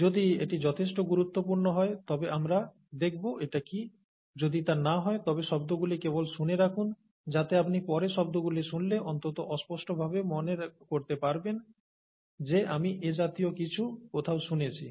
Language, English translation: Bengali, If it is important enough, we will go and see what it is; if it is not, just hear the terms so that if you hear the terms later, you will at least vaguely remember, and you know, I have kind of heard this somewhere